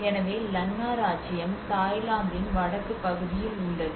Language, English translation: Tamil, So the Lanna Kingdom is in a northern part of the Thailand